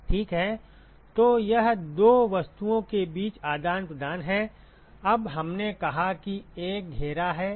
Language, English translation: Hindi, Ok so this is exchange between two objects, now we said there is an enclosure right